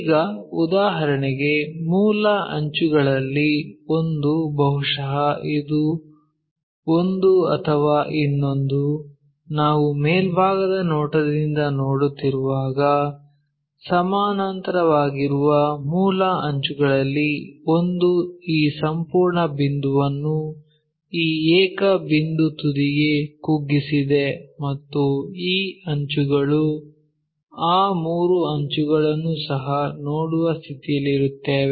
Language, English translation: Kannada, Now, if one of the base edges for example, maybe this one or this one or the other one, one of the base edges parallel to; when we are looking from top view this entire point shrunk to this single point apex and we will be in the position to see this edges also those three edges